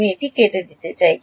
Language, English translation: Bengali, I want to reduce this